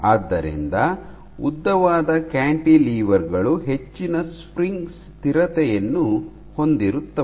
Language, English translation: Kannada, So, long cantilevers have higher spring constant